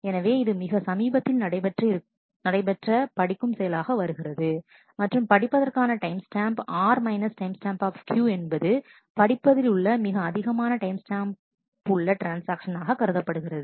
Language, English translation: Tamil, So, this becomes the latest read operation and therefore, the read timestamp R timestamp Q is set to the maximum of the current read timestamp and the timestamp of the transaction